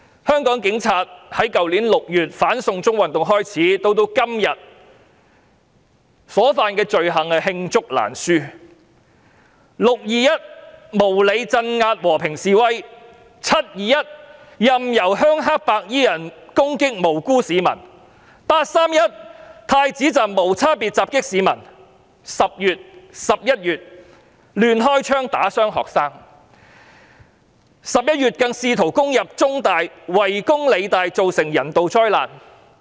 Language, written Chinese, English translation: Cantonese, 香港警察在去年6月"反送中"運動開始到今天，他們所犯的罪行罄竹難書，"六二一"無理鎮壓和平示威者，"七二一"任由鄉黑白衣人攻擊無辜市民，"八三一"太子站無差別襲擊市民 ，10 月、11月亂開槍打傷學生 ，11 月更試圖攻入中文大學及圍攻理工大學，造成人道災難。, Since the beginning of the anti - extradition to China movement in June last year the crimes committed by the Hong Kong Police are too numerous to list . They unreasonably suppressed the peaceful demonstrators on 21 June allowed rural - triad white - clad people to attack innocent civilians on 21 July indiscriminately attacked members of the public at the Prince Edward Station on 31 August wrongfully shot and injured students in October and November and even tried to invade The Chinese University of Hong Kong and besieged The Hong Kong Polytechnic University in November which resulted in a humanitarian disaster